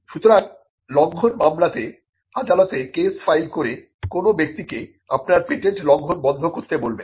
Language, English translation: Bengali, So, infringement suits are the are cases filed before the court where you ask a person to stop infringing your patent